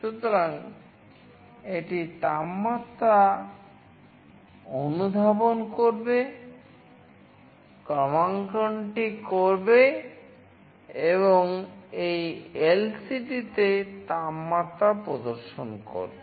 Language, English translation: Bengali, So, it will sense the temperature, do the calibration and display the temperature in this LCD